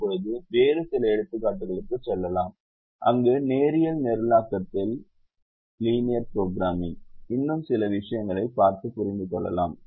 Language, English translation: Tamil, now let us move to couple of other examples where, where we understand a few more things in linear programming